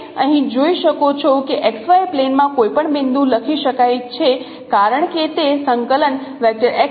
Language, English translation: Gujarati, You can see here that any point in that xy plane can be written as its coordinate as xy 0 1